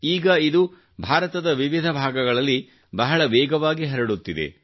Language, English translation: Kannada, This is now spreading very fast in different parts of India too